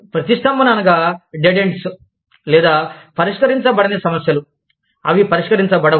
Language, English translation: Telugu, Impasses are, dead ends or issues, that remain unresolved